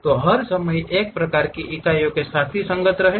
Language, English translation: Hindi, So, be consistent with all the time with one kind of units